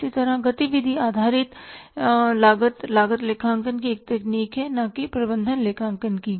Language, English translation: Hindi, Similarly the activity based costing is a technique of the cost accounting not of the management accounting